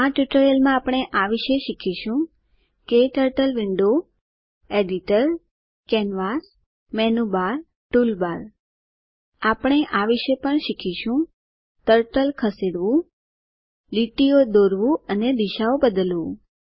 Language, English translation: Gujarati, In this tutorial, we will learn about KTurtle Window Editor Canvas Menu Bar Toolbar We will also learn about, Moving the Turtle Drawing lines and changing directions